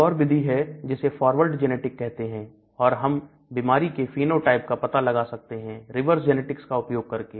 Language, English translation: Hindi, Another approach this is called the forward genetics and there is a reverse genetics by which we can also identify your disease phenotype